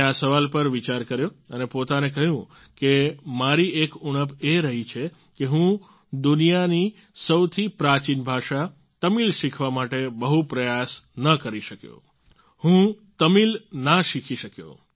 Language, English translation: Gujarati, I pondered this over and told myself that one of my shortcomings was that I could not make much effort to learn Tamil, the oldest language in the world ; I could not make myself learn Tamil